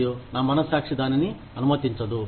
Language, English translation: Telugu, And, my conscience, does not permit it